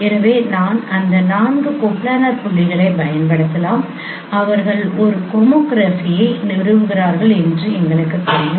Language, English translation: Tamil, So I can using that four coplanar points we know that they establish a homography